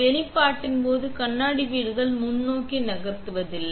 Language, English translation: Tamil, During exposure the mirror housing does not move forward